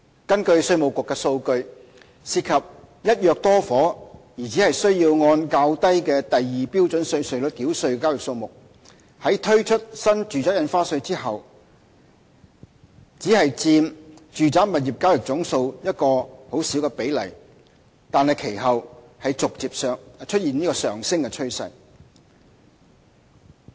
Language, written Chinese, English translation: Cantonese, 根據稅務局的數據，涉及"一約多伙"而只須按較低的第2標準稅率繳稅的交易數目，在新住宅印花稅推出後只佔住宅物業交易總數一個很小的比例，但其後逐漸出現上升的趨勢。, According to IRDs statistics the number of transactions involving the purchase of multiple flats under one agreement which are only subject to the lower Scale 2 rates constitutes only a small percentage of the total residential property transactions since the introduction of NRSD but there has been an increasing trend of these cases thereafter